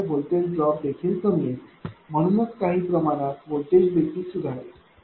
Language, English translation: Marathi, Therefore, less voltage drop right therefore, what you call to some extent voltage will also improve